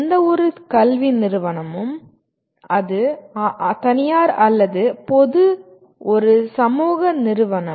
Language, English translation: Tamil, After all any educational institution, private or public is a social institution